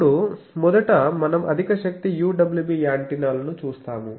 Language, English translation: Telugu, Now, first we will see the high power UWB antennas